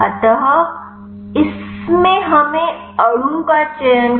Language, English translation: Hindi, So, in this we have to select molecule